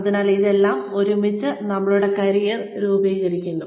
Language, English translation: Malayalam, So, all of this, put together, constitutes our career